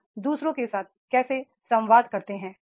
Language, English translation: Hindi, How do you communicate with others